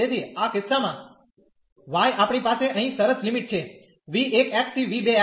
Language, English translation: Gujarati, So, in this case the y we have the nice limits here v 1 x to v 2 x